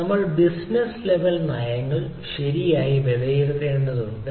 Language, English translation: Malayalam, so we need to evaluate the business level policies